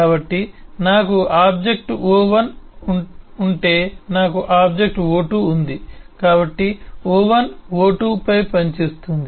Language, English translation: Telugu, so if I have object o1, I have object o2, so o1 acts on o2, so this is acted on and o1 acts on o2